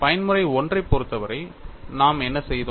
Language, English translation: Tamil, For the case of mode 1, what we did